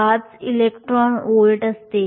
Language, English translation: Marathi, 05 electron volts